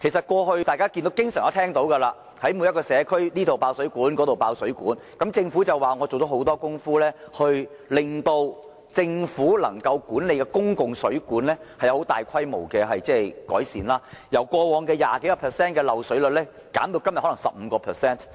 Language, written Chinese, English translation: Cantonese, 過去大家經常聽聞各個社區出現爆水管事件，但政府表示已做了很多工夫，令政府所管理的公共水管有大規模改善，由過往多於 20% 的漏水率，減至今天的 15%。, We have often heard about water main burst incidents in various districts in the past . The Government says it has done a lot of work such as making large - scale improvement of the public mains under its management and reducing the leakage rate of over 20 % in the past to 15 % today